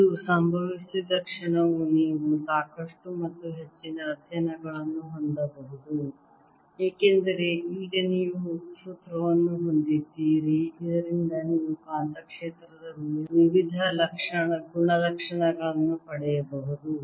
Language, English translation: Kannada, now you can have in lot and lot of more studies because now you have a formula from which you can derive various properties of magnetic field